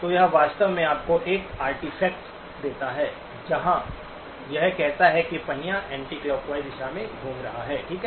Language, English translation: Hindi, So it actually gives you a artefact where it says that the wheel is rotating in the anticlockwise direction, okay